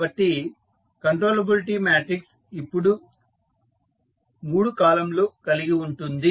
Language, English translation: Telugu, So, the controllability matrix will now have 3 columns